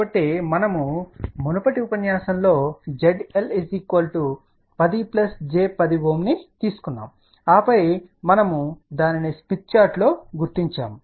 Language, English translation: Telugu, So, in the previous lecture we had taken Z L equal to 10 plus j 10 ohm and that we had located that on the smith chart